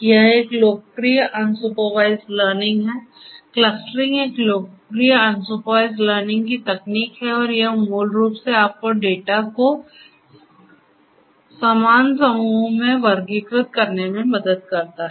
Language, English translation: Hindi, This is one popular unsupervised learning; clustering is a popular unsupervised learning technique and this basically will help you to classify the data into similar groups